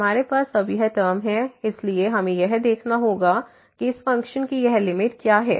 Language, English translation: Hindi, We have this term now so we have to see what is this limit here of this function